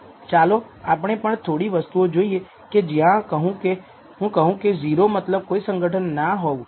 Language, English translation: Gujarati, Let us look at some of the things as I said 0 means no association